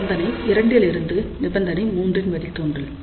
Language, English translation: Tamil, Derivation of condition 3 from condition 2